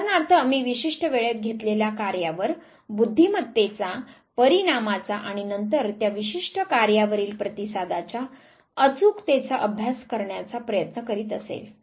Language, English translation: Marathi, Say for example, if I am trying to study the effect of intelligence on that time taken on certain task and then accuracy of response on that specific task